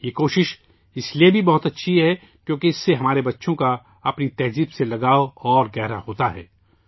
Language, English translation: Urdu, This effort is very good, also since it deepens our children's attachment to their culture